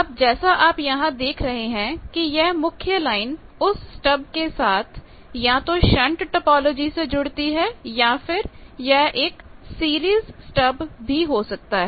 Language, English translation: Hindi, Now, as you see that there is a main line from that the stub can be connected either in shunt that topology is shown or it can be a series stub also